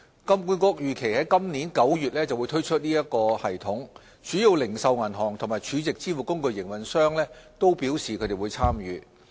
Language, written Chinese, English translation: Cantonese, 金管局預期於今年9月推出該系統，主要零售銀行及儲值支付工具營運商均表示會參與。, HKMA expects to launch FPS in September this year and major retail banks and SVF operators have indicated their interest to participate